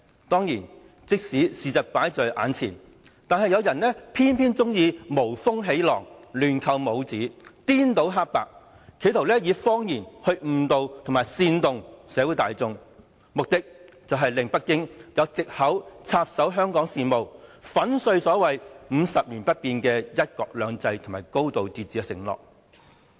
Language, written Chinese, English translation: Cantonese, 當然，即使事實擺在眼前，有人偏偏喜歡無風起浪、亂扣帽子、顛倒黑白，企圖以謊言來誤導和煽動社會大眾，目的是令北京有藉口插手香港事務，粉碎所謂50年不變的"一國兩制"和"高度自治"的承諾。, Of course even the facts are before their nose some people have to stir up troubles when none exists label others at will and confound right and wrong in an attempt to mislead and incite the general public with lies for the purpose of making up an excuse for Beijing to intervene in the affairs of Hong Kong and break the so - called promises of one country two systems and a high degree of autonomy that should remain unchanged for 50 years